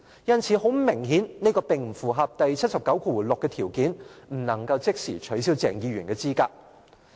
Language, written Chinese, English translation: Cantonese, 因此，很明顯這並不符合第七十九條第六項的條件，不能即時取消鄭議員的資格。, As such this obviously does not meet the conditions set out in Article 796 and Dr CHENG shall not be disqualified from his office immediately